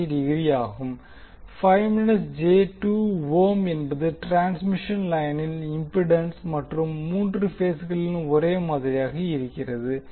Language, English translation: Tamil, 5 minus j2 ohm is the impedance of the transmission line and it is the same in all the three phases